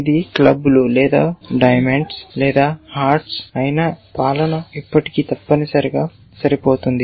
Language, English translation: Telugu, Whether this was clubs or diamonds or hearts that rule would still match essentially